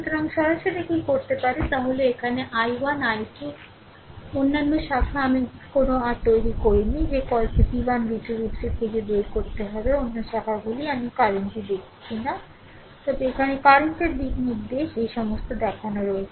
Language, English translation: Bengali, So, directly what you can ah what you can do is that here i 1 i 2 other branches I have not made any your what you call ah you have to find out v 1 v 2 v 3 other branches I have not shown the current, but direction of the current here all this shown right